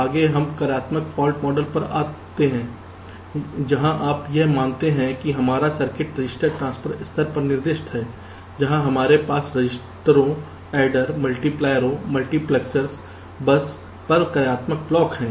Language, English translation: Hindi, next let us come to functional fault model, where you assume that our circuit is specified at the register transfer level, where we have functional blocks like registers, adder, multipliers, multiplexers, bus and so on